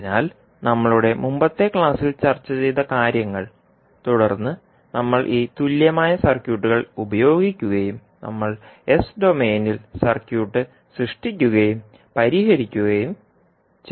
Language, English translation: Malayalam, So, these things we discussed in our previous class and then we, utilized these, equivalent circuits and we created the circuit in s domain and solved it